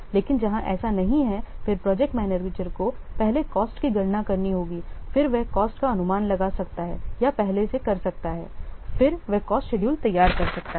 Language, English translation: Hindi, But where this is not the case, then the project manager you will have to first calculate the cost, then he can or first estimate the cost, then he can prepare the cost scheduled